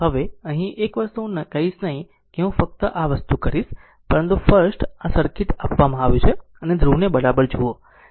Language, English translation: Gujarati, Now, here one thing I will not tell you I will just this thing, but first this is the circuit is given and look at the polarity right